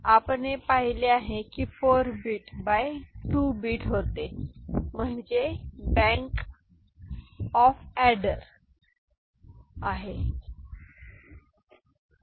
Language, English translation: Marathi, So, we have seen before it was 4 bit by 2 bit this is the bank of adder where we had ended the result